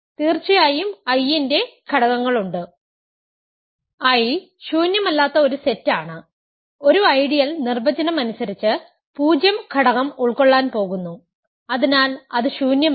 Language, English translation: Malayalam, Of course, there are elements of I, I is a non empty set right, an ideal is by definition going to contain the 0 element so it is non empty